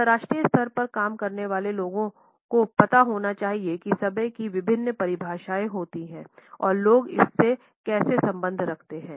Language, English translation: Hindi, People who work at an international level must know what are the different definitions of time and how do people relate to it differently